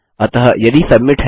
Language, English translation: Hindi, So, if submit